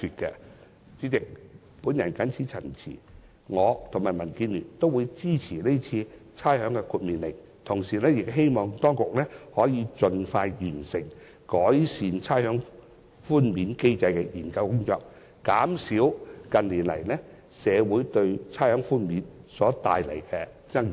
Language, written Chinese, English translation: Cantonese, 我和民主建港協進聯盟均會支持這項《命令》，同時希望當局可以盡快完成改善差餉寬免機制的研究工作，減少近年社會對差餉寬免所帶來的爭議。, The Democratic Alliance for the Betterment and Progress of Hong Kong and I will support the Order and we hope that the Government will complete the study on improving the rates concession mechanism as soon as possible and reduce controversies in the community over rates concession